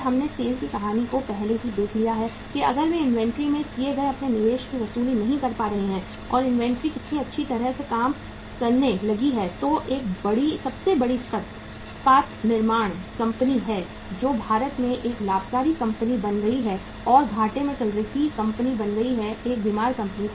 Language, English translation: Hindi, And we have already seen the story of SAIL that if they are not able to recover their investment made in the inventory and the inventory started mounting so well functioning a largest a largest steel manufacturing company which was a profitmaking company in India became the lossmaking company and became a sick company